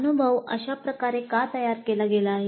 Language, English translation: Marathi, So why the experience has been framed that way